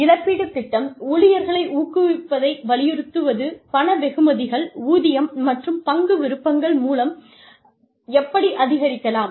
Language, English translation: Tamil, Will the compensation plan, emphasize motivating employees, through monetary rewards like, pay and stock options